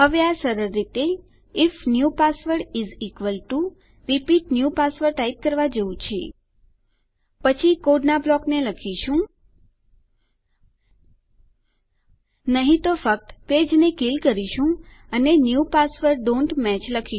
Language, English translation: Gujarati, Now this is just as simple as typing if new password is equal to repeat new password, then we can write a block of code, otherwise we can just kill the page and say New passwords dont match.